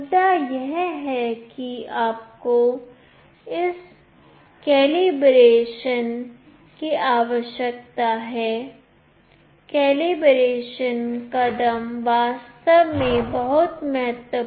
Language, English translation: Hindi, The point is you need this calibration, the calibration step is really very important